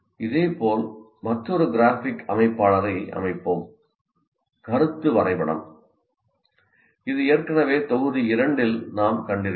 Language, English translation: Tamil, Now similarly, let us look at another graphic organizer, concept map, which we have already seen mentioned in the module 2